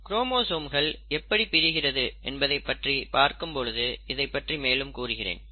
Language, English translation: Tamil, And I will come back to this when we are talking about how the chromosomes actually get separated